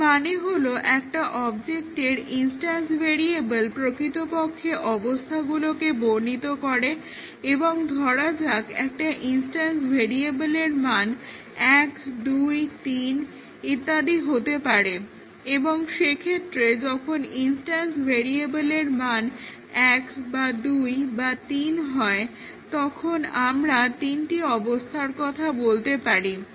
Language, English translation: Bengali, So, what we really mean that the instance variables of an object they actually define the states and let us say, an instance variable can assume values 1, 2, 3 and in that case we might say that there are three states when the instance variable value is 1 or 2 or 3